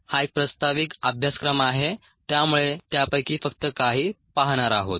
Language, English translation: Marathi, this is ended in an introductory course, so will see only some of them